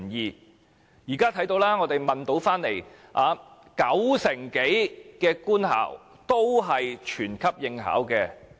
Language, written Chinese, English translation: Cantonese, 我們調查得來的結果是，九成多官校均全級應考。, Our survey result shows that over 90 % of government schools have opted for compulsory BCA assessment